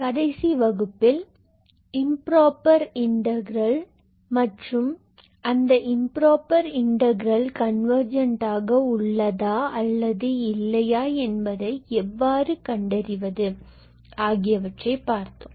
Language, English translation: Tamil, So, in the last class we looked into the concepts of Improper Integrals and how do you show that those improper integrals are convergent or not